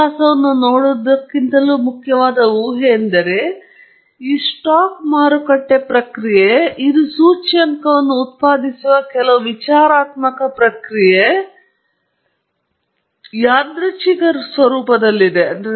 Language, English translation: Kannada, The point is here we apart from looking at the history, the main assumption that we make is that this stock market process – that which is some ficticious process that generating the index is random in nature